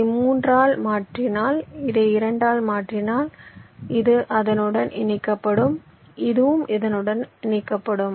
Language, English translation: Tamil, lets say, if we just replace this by three and this by two, then this will be connected to this